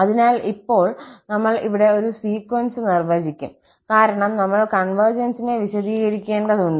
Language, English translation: Malayalam, So, now, we will define here a sequence, because when we are talking about the convergence, we need to define a sequence